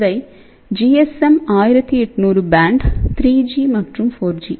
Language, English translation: Tamil, So, these are the GSM 1800 band 3G and 4G